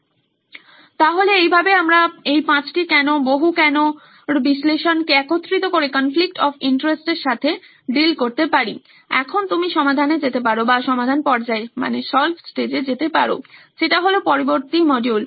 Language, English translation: Bengali, So this is how we can deal with the five whys, multi why analysis combining it with the conflict of interest analysis, now with this you can go onto the solve stage, which is a next module